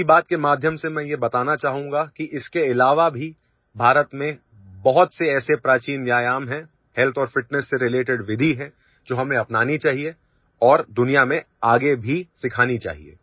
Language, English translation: Hindi, Through 'Mann Ki Baat' I would like to tell you that apart from this, there are many ancient exercises in India and methods related to health and fitness, which we should adopt and teach further in the world